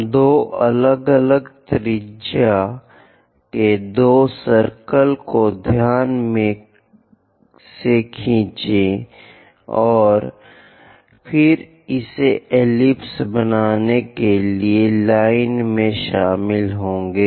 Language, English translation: Hindi, We will draw two circles of two different radii concentrically, and then join the lines to construct this, an ellipse